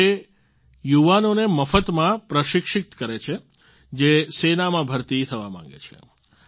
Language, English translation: Gujarati, He imparts free training to the youth who want to join the army